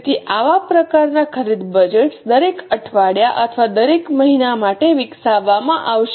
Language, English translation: Gujarati, So, such types of purchase budgets will be developed for each week or for each month and so on